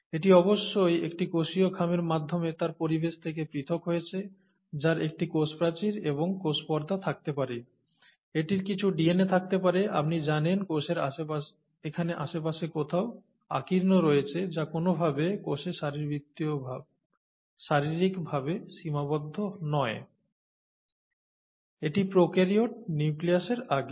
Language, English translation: Bengali, It is of course separated from its environment through a cellular envelope that could have a cell wall and a cell membrane, it could have some DNA, you know kind of strewn around here in the cell which is not limited in any way physically in the cell; and this is prokaryote before nucleus